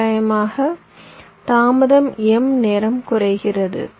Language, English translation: Tamil, so roughly the delay decreases m times